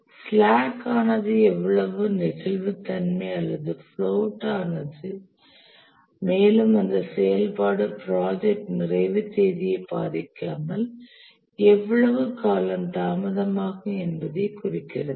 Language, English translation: Tamil, The slack is how much flexibility or float that activity has and this implies how long it can get delayed without affecting the project completion date